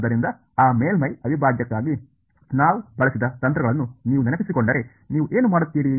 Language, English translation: Kannada, So, if you recall the tricks that we had used for that surface integral what would you do